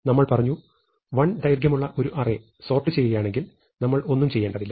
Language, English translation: Malayalam, And we said, that if we are sorting an array of size 1, we do not have to do anything, we just return